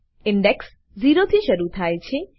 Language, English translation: Gujarati, Index starts with zero